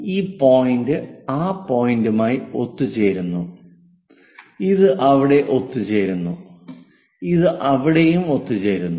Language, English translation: Malayalam, So, this point coincides with that point, this one coincides that this one coincides there, and this one coincides there